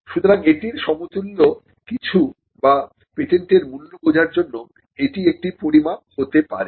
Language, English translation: Bengali, So, the it is an equivalent for or it could be used as a measure for understanding the value of a patent